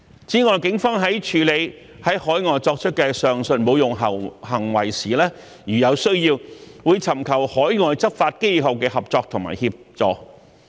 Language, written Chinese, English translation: Cantonese, 此外，警方在處理於海外作出的上述侮辱行為時，如有需要，會尋求海外執法機構的合作和協助。, What is more in dealing with the above mentioned desecrating acts that are committed overseas the Police will seek cooperation and assistance from overseas law enforcement agencies as necessary